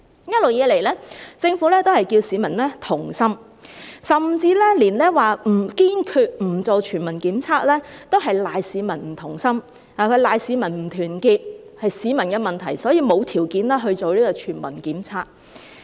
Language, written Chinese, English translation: Cantonese, 一直以來，政府都是叫市民同心，甚至之前說堅決不進行全民檢測都推搪是市民不同心，說市民不團結，是市民的問題，所以沒有條件進行全民檢測。, All along the Government has been asking the public to be united . Previously the Government even said that it was due to the public being discordant and disunited that a universal testing would surely not be carried out . The problem thus lies in the public and there is no condition to conduct a universal testing